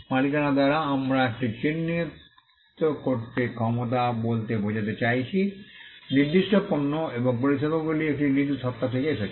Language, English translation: Bengali, By ownership we mean the ability to identify that, certain goods and services came from a particular entity